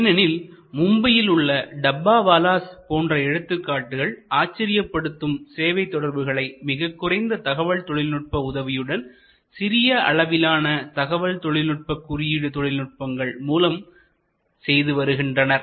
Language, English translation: Tamil, Because, there are examples like the famous Dabbawalas of Mumbai, an amazing service network using very little of information technology, they do use excellent information and coding techniques